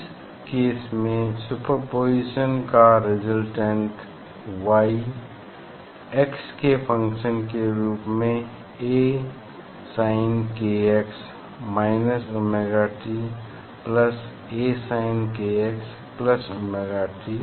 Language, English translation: Hindi, in this case, that Y as a function of x resultant one after superposition, so that will be equal to A sin k x minus omega t plus A sin k x plus omega t